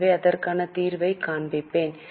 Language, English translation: Tamil, So, I will show the solution to you